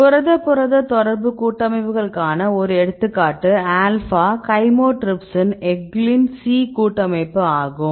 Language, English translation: Tamil, Then I will show one example to the protein protein interaction complexes right this is the alpha chymotrypsin eglin C complex right